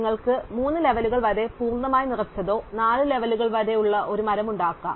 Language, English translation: Malayalam, So, you can have a tree up to 3 levels which is completely filled or up to 4 levels and so on